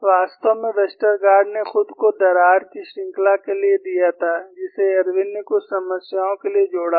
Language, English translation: Hindi, In fact, Westergaard himself, has given for the series of cracks, which was added by Irwin for a few problems